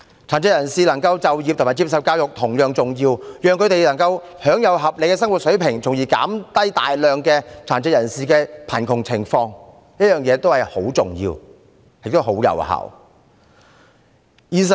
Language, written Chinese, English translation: Cantonese, 殘疾人士能夠就業和接受教育同樣重要，讓他們能夠享有合理的生活水平，從而減低大量貧困的殘疾人士，是十分重要和有效的。, Participation in employment and education is also important in that persons with disabilities can have an adequate standard of living and the high numbers of persons with disabilities in poverty can be reduced . That is a very important and effective approach